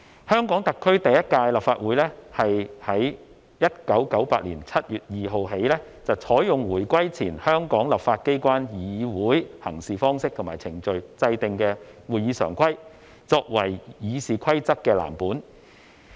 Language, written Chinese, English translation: Cantonese, 香港特區第一屆立法會是在1998年7月2日起採用回歸前香港立法機關議會行事方式及程序制訂的《會議常規》作為《議事規則》的藍本。, On 2 July 1998 the first Legislative Council of HKSAR adopted RoP . The RoP was modelled on the Standing Orders an instrument formulated for the practices and procedures of the legislature before the reunification